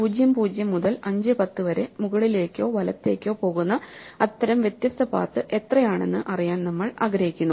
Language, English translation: Malayalam, So, we want to know how many such different paths are there which take us from (0, 0) to (5, 10) only going up or right